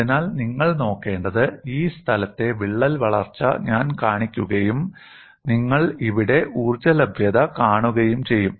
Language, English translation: Malayalam, So, what you will have to look at is, I would be showing the crack growth in this place and you would be seeing the energy availability here